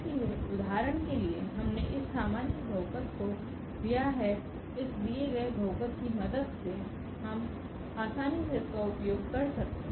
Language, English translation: Hindi, So, for instance we have taken this general polynomial and with the help of these given polynomials we can easily use this